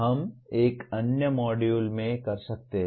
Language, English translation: Hindi, That we may do in another module